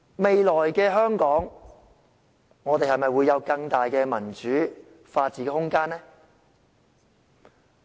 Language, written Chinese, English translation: Cantonese, 未來的香港會有更大的民主和法治空間嗎？, Will there be bigger room for democracy and rule of law in the future?